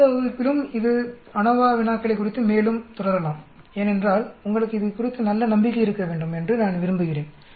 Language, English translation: Tamil, Let us continue more on these ANOVA problems in the next class also because I would like you to have a good confidence